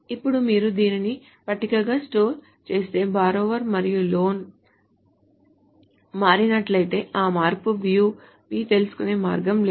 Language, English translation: Telugu, Now if you store this as a table, if borrower and loan has changed, there is no way the view we will know that change